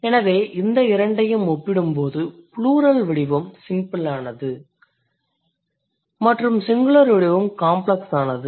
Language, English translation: Tamil, So, when you are comparing these two, the simpler one is the plural form and the complex one is the singular form